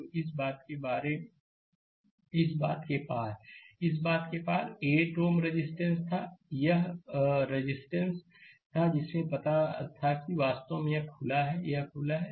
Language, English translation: Hindi, So, across this, across this thing, there was a 8 ohm resistance; the this 8 ohm resistance was there know in that, that is actually open this is open